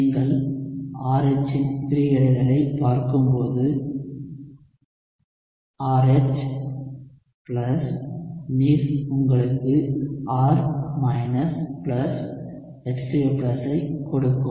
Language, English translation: Tamil, So, when you look at the dissociation of RH, you are looking at RH plus water giving you R + H3O+